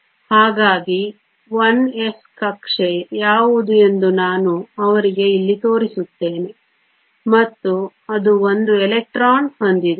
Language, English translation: Kannada, So, I will show them here which is the 1 s orbital and it has 1 electron